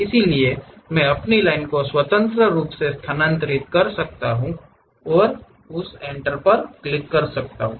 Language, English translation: Hindi, So, I can just freely move my line and click that Enter